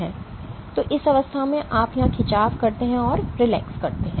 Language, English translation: Hindi, So, this in this stage you stretch here you relax